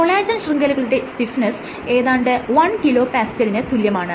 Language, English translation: Malayalam, So, typically a collagen network might have a stiffness order of 1 kPa